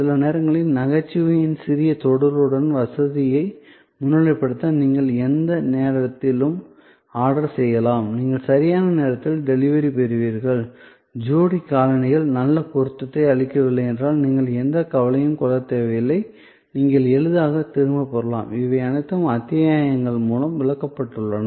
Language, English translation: Tamil, Sometimes with the little bit touch of humor to highlight the convenience that you can order any time; that you will get timely delivery; that you need not have any worry if the pair of shoes does not offer good fit, you can return easily, all these are explained through episodes